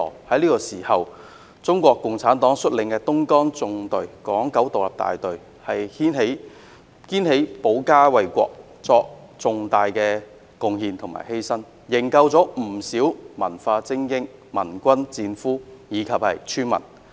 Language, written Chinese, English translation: Cantonese, 在這個時候，中國共產黨率領的東江縱隊港九獨立大隊肩負起保家衞國的責任，作出重大貢獻和犧牲，營救不少文化精英、盟軍戰俘和村民。, It was at that moment that the Hong Kong Independent Battalion of the Dongjiang Column led by the Communist Party of China took up the responsibility of defending the country and made significant contribution and sacrifices rescuing many cultural elites members of the Allied troops who had been captured and also villagers